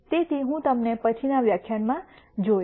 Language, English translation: Gujarati, So, I will see you in the next lecture